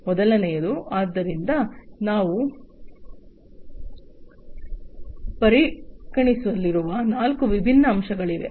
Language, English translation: Kannada, The first thing, so there are four different facets that we have considered